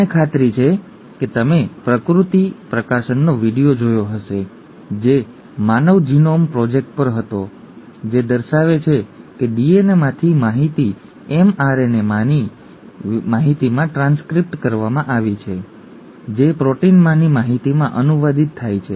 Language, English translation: Gujarati, I am sure you watched the video from nature publishing which was on the human genome project, which showed that the information in the DNA is transcribed to the information in the mRNA which gets translated to the information in the proteins, okay